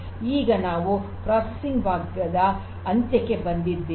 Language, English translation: Kannada, So, with this we come to an end of the processing part and